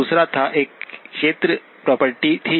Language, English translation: Hindi, The second one was, one was the area property